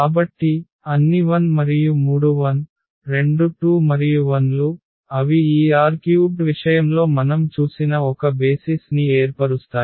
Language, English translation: Telugu, So, all 1 and then these three 1’s two 1’s and 1’s so, they form a basis which we have seen for instance in the case of this R 3